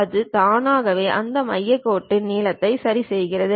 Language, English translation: Tamil, It automatically adjusts that center line length